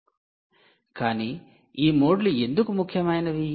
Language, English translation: Telugu, why are these modes important